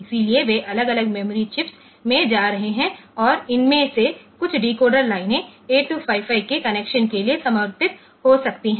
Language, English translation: Hindi, So, they are going to different memory chips and some of these decoder lines may be dedicated for connection to 8255